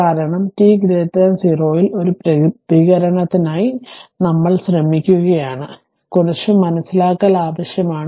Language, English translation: Malayalam, Because, it is we are trying to obtain the response for t greater than 0, little bit understanding is required